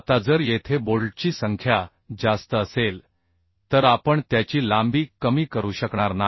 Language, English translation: Marathi, Now if we have more number of bolts here, then we will not be able to reduce the length of joint